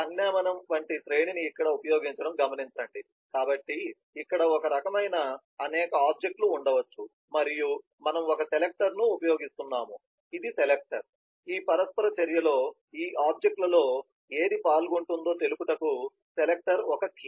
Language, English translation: Telugu, but just note the array like notation being used here, so here possibly there are several objects of the same type and we are using a selector, this is a selector, a selector key to specify which of these objects is participating in this interaction